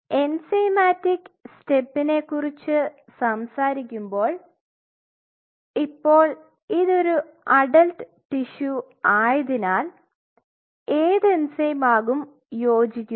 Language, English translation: Malayalam, Now when you talk about enzymatic step what enzyme will suit because it is an adult tissue